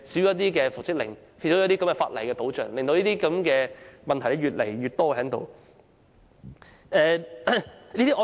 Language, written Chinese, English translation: Cantonese, 缺乏復職相關的法例保障，令這類問題越來越多。, The lack of legal protection for reinstatement has caused an increase in the number of such cases